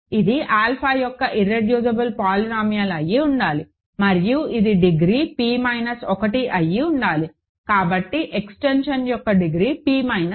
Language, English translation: Telugu, So, this must be the irreducible polynomial of alpha and it is degrees p minus 1, so the degree of the extension is p minus 1